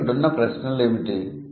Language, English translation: Telugu, So, what are the questions